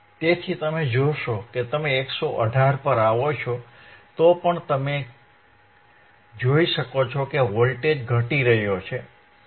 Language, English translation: Gujarati, So, that is why you will see that even you come to 115 ah, 118 you can still see that voltage is decreasing